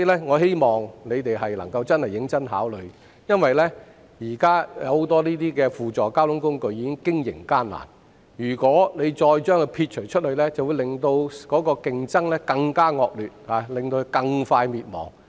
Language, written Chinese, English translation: Cantonese, 我希望政府能夠認真考慮，因為現時很多輔助交通工具面臨經營困難，如果把它們撇除，便會令競爭更惡劣，它們會更快倒閉。, I hope the Government can seriously consider that because many supplementary modes of transport are facing operational difficulties . If they are left out competition will become more intense and their business will be closed sooner